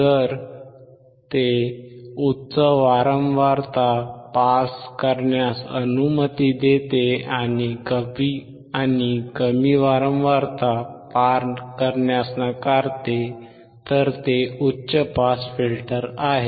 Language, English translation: Marathi, If it allows high pass frequency to pass, and it rejects low pass frequency, it is high pass filter